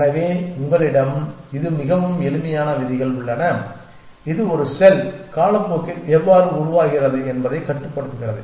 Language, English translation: Tamil, So, you have this, very simple rules which control how a cell evolves over time